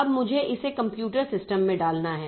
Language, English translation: Hindi, Now I have to enter it into the computer system